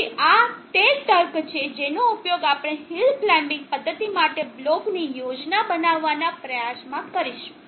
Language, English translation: Gujarati, So this is the logic that we will use in trying to build a block schematic for the hill climbing method